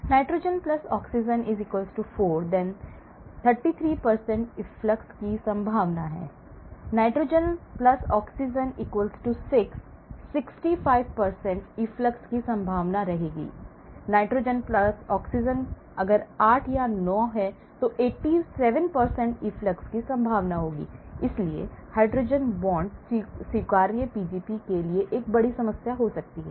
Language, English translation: Hindi, Nitrogen + oxygen; 4, 33% chance of efflux, nitrogen + oxygen; 6, 65%, nitrogen + oxygen; 8 or 9, 87%, so hydrogen bond acceptors could be a big culprit for Pgp